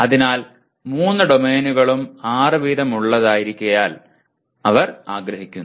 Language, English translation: Malayalam, So he would like to have or they would like to have all the three domains as six each, okay